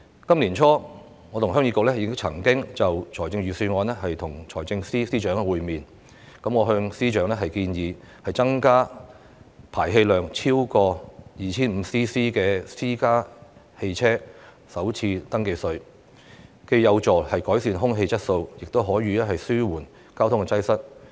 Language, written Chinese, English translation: Cantonese, 今年年初，我和新界鄉議局曾就預算案與財政司司長會面。我向司長建議增加排氣量超過 2,500 立方厘米的私家車的首次登記稅，原因是既有助改善空氣質素，亦可以紓緩交通擠塞。, Early this year Heung Yee Kuk New Territories HYKNT and I had a meeting with FS on the Budget during which I suggested FS to increase FRT for private cars with an engine displacement of over 2 500 cc with a view to both improving air quality and alleviating traffic congestion